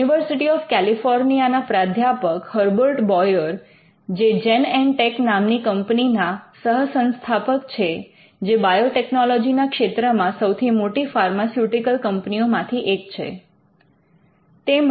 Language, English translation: Gujarati, Herbert Boyer a professor from University of California co founded the company Genentech, which is one of the leading pharmaceutical companies, which involved in biotechnology today